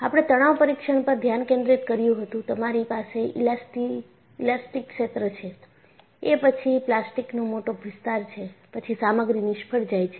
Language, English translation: Gujarati, The focus on the tension test was, you have an elastic region, followed by a large plastic zone, then only the material fails